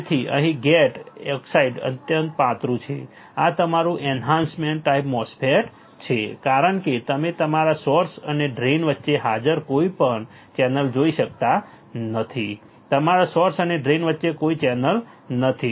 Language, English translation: Gujarati, So, here the gate oxide is extremely thin this is your enhancement MOSFET because you cannot see any channel any channel present between your source and drain there is no channel between your source and drain easy